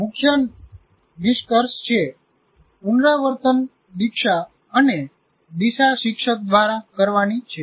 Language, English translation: Gujarati, The main conclusion is the rehearsal, initiation and direction is that by the teacher